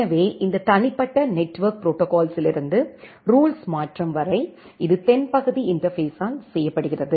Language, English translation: Tamil, So, from this individual network protocol to the rule conversion, that is done by the southbound interface